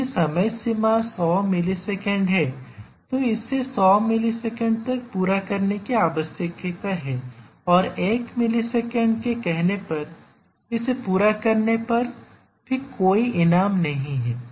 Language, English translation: Hindi, If the deadline is 100 millisecond then it needs to complete by 100 millisecond and there is no reward if it completes in 1 millisecond let us say